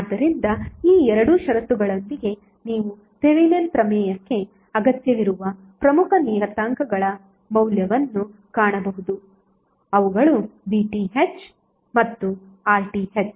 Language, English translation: Kannada, So with these two conditions you can find the value of the important parameters which are required for Thevenin’s theorem which are VTh and RTh